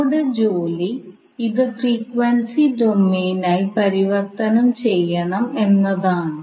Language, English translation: Malayalam, So we will convert it into frequency domain